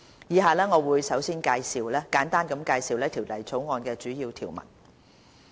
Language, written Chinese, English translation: Cantonese, 以下我會簡單介紹《條例草案》的主要條文。, I will briefly introduce the key provisions of the Bill as follows